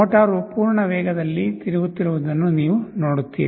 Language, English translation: Kannada, You see motor is rotating in the full speed